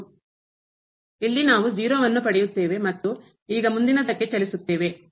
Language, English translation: Kannada, So, here also we get 0 and now moving next